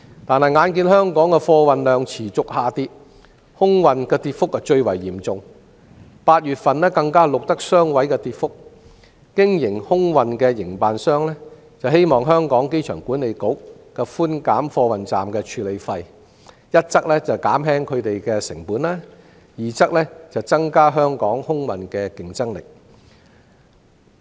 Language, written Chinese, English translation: Cantonese, 可是，眼見香港的貨運量持續下跌，當中以空運跌幅最為嚴重 ，8 月份更錄得雙位數字跌幅，空運營辦商希望香港機場管理局寬減貨運站的處理費，一則減輕他們的成本，二則增加香港空運的競爭力。, However in face of the declining volume of cargo handled by Hong Kong particularly air freight cargo with a double digit decline recorded in August air freight operators hope that the Airport Authority Hong Kong AA will reduce the handling fees of air freight cargo so as to lower their costs and at the same time enhance the competitiveness of Hong Kongs air freight cargo handling services